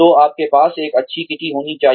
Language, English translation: Hindi, So, you should have a nice kitty